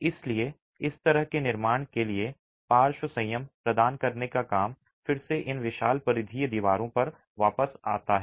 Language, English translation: Hindi, So, the work of providing lateral restraint to such constructions again comes back to these massive peripheral walls